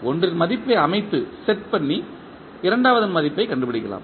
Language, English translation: Tamil, We will set the value of one and find out the value of second